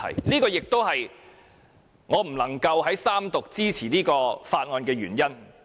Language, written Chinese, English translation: Cantonese, 這亦是我不能在三讀支持《條例草案》的原因。, This is also the reason why I cannot support the Third Reading of the Bill